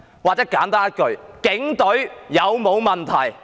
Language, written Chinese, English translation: Cantonese, 或是我簡單問一句：警隊有否問題？, Or I ask a simple question . Do the Police Force have any problem?